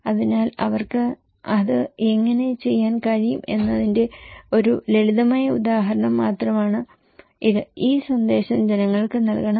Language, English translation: Malayalam, So, this is just one simple example that how they can do it and this message should be given to the people